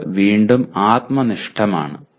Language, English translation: Malayalam, Again it is subjective